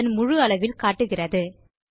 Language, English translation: Tamil, This fits the page to its width